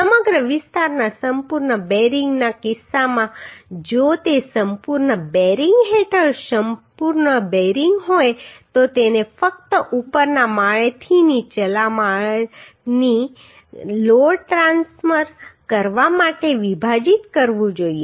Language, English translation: Gujarati, In case of complete bearing the whole area if it is complete bearing under complete bearing then it should be spliced just for to transfer the load from upper storey to lower storey right